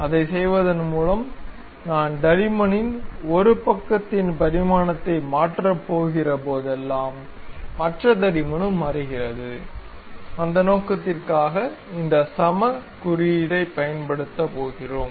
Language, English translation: Tamil, By doing that, whenever I am going to change dimension of one side of the thickness; the other thickness also changes, for that purpose we are going to use this equal symbol